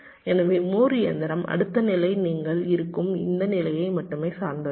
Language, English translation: Tamil, so, moore machine, the next state depends only on this state where you are, so it is not dependent on the input